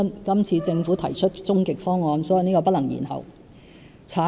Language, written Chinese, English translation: Cantonese, 今次政府提出終極方案，所以這是不能延後的。, This time the Government has come up with the ultimate proposal so there can be no delay